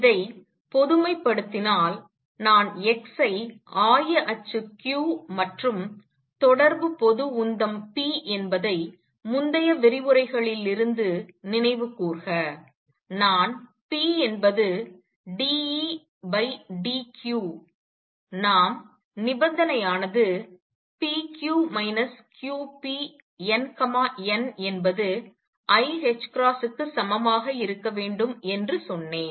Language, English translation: Tamil, Generalizing this if I replace x by general coordinate q and corresponding general momentum p recall from previous lectures, I have told you that p is d E d q we get the condition to be p q minus q p n, n equals i h cross